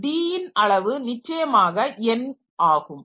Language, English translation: Tamil, So, size of D is definitely n